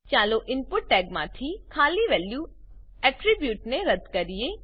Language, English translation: Gujarati, Let us delete the empty value attribute from the input tag